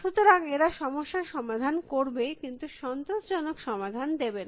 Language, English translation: Bengali, So, they will solve the problem, but they will not give you the optimal solution